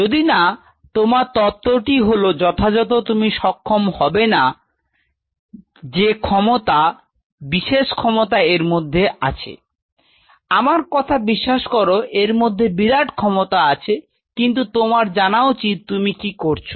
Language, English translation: Bengali, Unless your philosophy is it properly you will never be able to know the power of this in its tremendous power trust my words it has tremendous power, but one has to know what you are doing